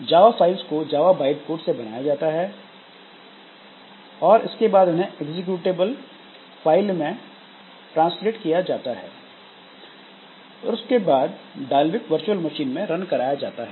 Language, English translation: Hindi, Java class files compiled by, compiled to Java byte code and then translated to executable then runs on the Dalvik VM